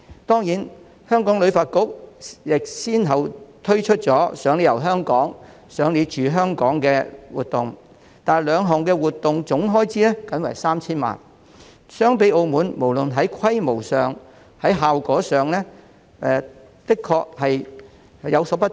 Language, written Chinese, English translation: Cantonese, 當然，香港旅發局亦先後推出了"賞你遊香港"及"賞你住"活動，但總開支僅為 3,000 萬元，不論在規模或效果上也的確比澳門不足。, Certainly HKTB has also rolled out the Spend - to - Redeem Free Tour programme and Staycation Delights campaign successively but the total expenditure was merely 300 million . This is much inferior to those of Macao both in terms of scale and effect